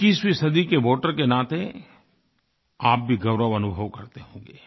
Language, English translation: Hindi, As voters of this century, you too must be feeling proud